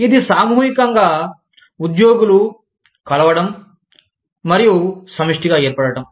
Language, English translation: Telugu, It is collective employees, get together, and form a collective